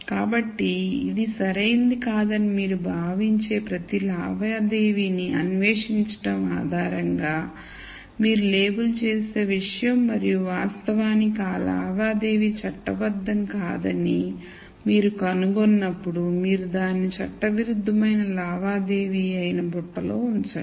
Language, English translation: Telugu, So, this is something that you label based on exploring each transaction which you think might not be right and actually when you nd out that that transaction was not legal then you put it into the basket which is illegal transaction